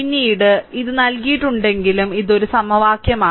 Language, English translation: Malayalam, Later it is given but this is one equation